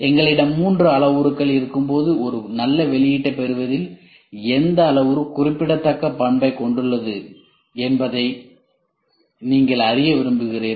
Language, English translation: Tamil, And also when we have three parameters you would like to know which parameter is playing a significant role on getting a good output ok